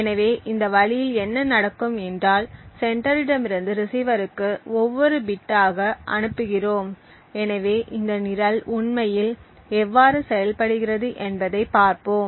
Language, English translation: Tamil, So, in this way what would happen is that we are sending bit by bit from the sender to the receiver, so let us see how this program actually works